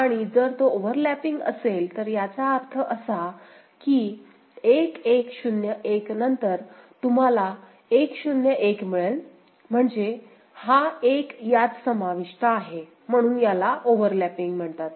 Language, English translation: Marathi, And if it is overlapping that means, after 1101, again if you get a 101, this 1 is getting included, so that is the overlap